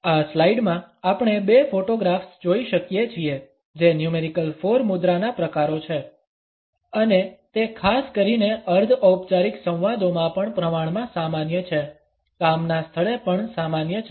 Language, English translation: Gujarati, In this slide, we can look at two photographs which are the variations of numerical 4 posture and they are also relatively common particularly in semi formal dialogues; even at the workplace